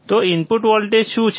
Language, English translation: Gujarati, So, what is input voltage